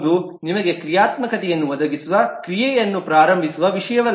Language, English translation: Kannada, But leave is not something that initiates an action which provides you a functionality